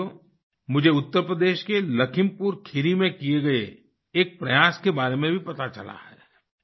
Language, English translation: Hindi, Friends, I have also come to know about an attempt made in LakhimpurKheri in Uttar Pradesh